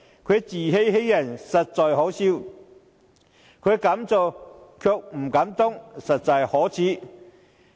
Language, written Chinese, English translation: Cantonese, 他自欺欺人，實在可笑；他敢做卻不敢當，實在可耻。, It is laughable that he deceived himself and others; it is shameful that he dared to do it but does not have the guts to admit it